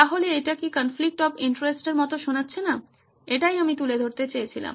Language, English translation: Bengali, So does not this sound like a conflict of interest this is what I wanted to bring up